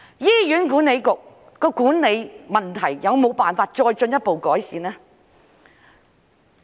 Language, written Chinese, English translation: Cantonese, 醫管局管理問題有沒有辦法再進一步改善？, Is there any way to further improve the management of HA?